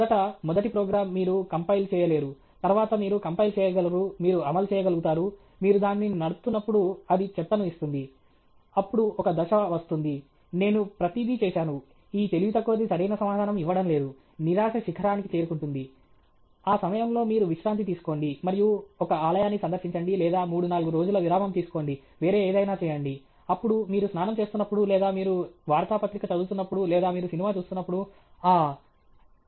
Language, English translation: Telugu, First, first the program, you will not be able to compile; then, you will be able to compile, you will be able to run; when you are running, it gives garbage; then one stage will come, I have done everything, this stupid fellow he is not giving the correct answer; that peak of frustration, at that time you just take a break, and visit a temple or just take three four days break do something else; then, when you are taking bath or you may be reading a newspaper or you are watching a movie, ah